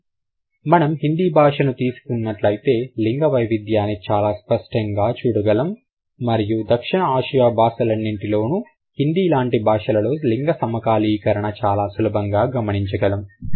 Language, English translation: Telugu, But if it has, let's say Hindi is a language which is extremely gender sensitive and you can easily find gender syncretism in South Asian language like Hindi